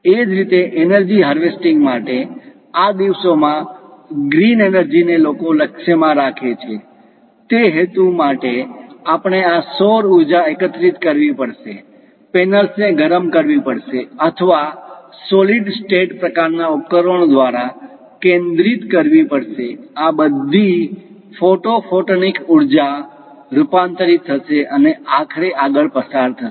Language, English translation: Gujarati, Similarly, for energy harvesting, these days green energy people are aiming for; for that purpose, we have to collect this solar power, heat the panels or converge through pressure electric kind of materials or perhaps through solid state kind of devices, all this photo photonic energy will be converted and finally transmitted